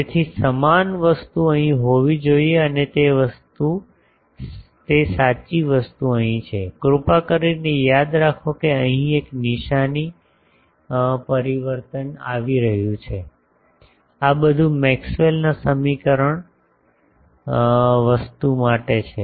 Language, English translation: Gujarati, So, similar thing should be here and that correct thing is here please remember that there is a sign change here, these are all for Maxwell’s equation thing Now, this is equivalence principle followed